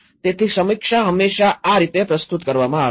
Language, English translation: Gujarati, So, this is how the review is always presented